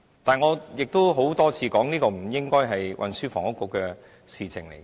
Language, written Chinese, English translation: Cantonese, 然而，我曾多次指出，這不應該是運輸及房屋局的事情。, Indeed I have repeatedly pointed out that this should not be the scope of duties of the Transport and Housing Bureau